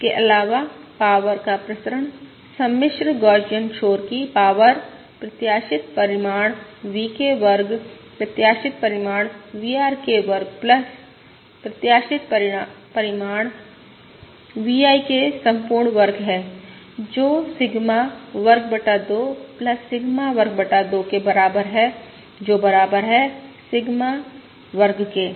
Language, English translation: Hindi, Further, the variance of the power, the power of the complex Gaussian noise: expected magnitude VK square is expected magnitude V RK square plus expected magnitude V IK whole square, which is equal to Sigma square by 2 plus Sigma square by 2, which is equal to Sigma square